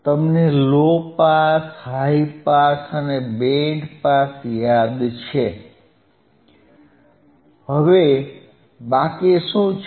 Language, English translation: Gujarati, You remember low pass, high pass and , band pass, all 3 checked